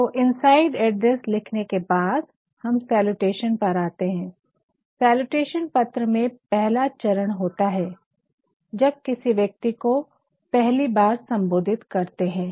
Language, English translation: Hindi, So, having written the inside address we come to the salutation, no salutation is the first step in the letter when you are going to address this person